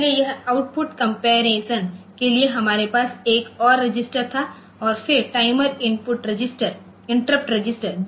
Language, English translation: Hindi, So, that is another register we had for this output comparator, output comparison and then timer interrupt registers are there